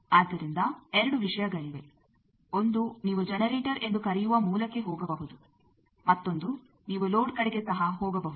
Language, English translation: Kannada, So there are two things; one is you can go either to a source which they call generator and also you can go towards load